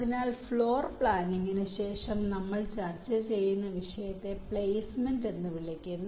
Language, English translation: Malayalam, ok, so after floorplanning, the topic that we shall be discussing is called placement